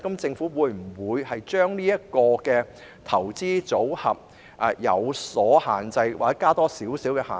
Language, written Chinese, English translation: Cantonese, 政府會否限制投資組合或增設一些限制？, Will the Government restrict investment portfolios or set some restrictions on them?